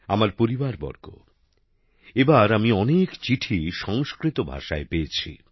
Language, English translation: Bengali, My family members, this time I have received many letters in Sanskrit language